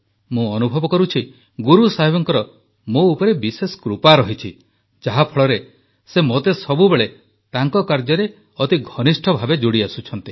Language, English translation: Odia, I feel that I have been specially blessed by Guru Sahib that he has associated me very closely with his work